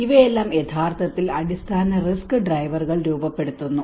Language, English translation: Malayalam, And these are all actually formulates the underlying risk drivers